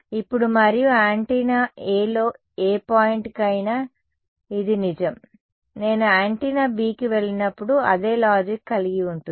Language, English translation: Telugu, Now, and this is true for any point on the antenna A, when I move to antenna B the same logic holds